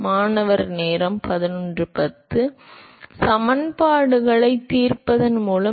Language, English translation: Tamil, By solving the equations